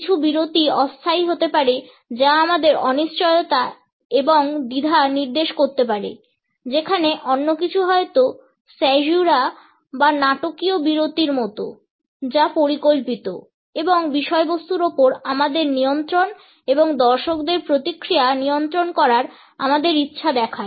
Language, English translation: Bengali, Some pauses maybe temporary which may indicate our uncertainty and hesitation, whereas some other, maybe like caesura or the dramatic pauses, which are planned and show our control of the content and our desire to control the audience reaction